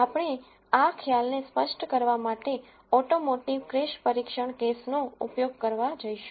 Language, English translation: Gujarati, We are going to use automotive crash testing case to illustrate this concept